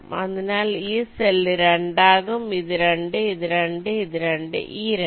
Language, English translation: Malayalam, so you see, this cell will be two, this is two, this is two, this two and this two